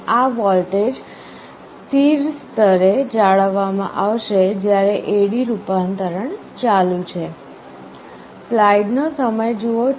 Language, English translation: Gujarati, This voltage will be maintained at a stable level while A/D conversion is in progress